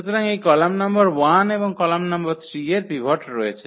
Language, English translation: Bengali, So, this column number 1 and the column number 3 they have the pivots